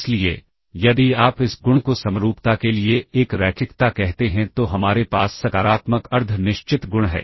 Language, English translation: Hindi, Then, we have so if you call this property number 1 linearity to symmetry then we have the positive semi definite property